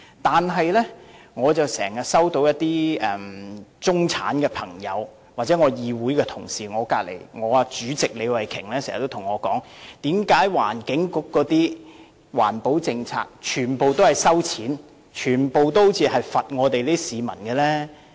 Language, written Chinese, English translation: Cantonese, 但是，我經常收到中產朋友或議會同事，例如李慧琼議員經常對我說，為何環境局的環保政策全部都要收費，全部都好像要懲罰市民？, Nevertheless some middle - class people and Council Members like Ms Starry LEE always tell me that they have such a query Why are the environmental protection policies of the Environment Bureau all charging - based which seem to penalize the citizens?